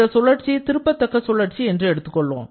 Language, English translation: Tamil, Now, we consider another cycle which is actually an irreversible cycle